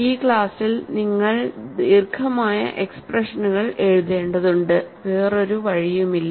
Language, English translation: Malayalam, Mind you in this class you have to write long expressions, there is no other go